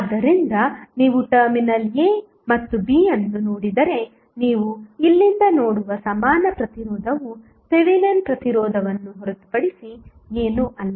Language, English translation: Kannada, So, if you look from this side into the terminal a and b the equivalent resistance which you will see from here is nothing but the Thevenin resistance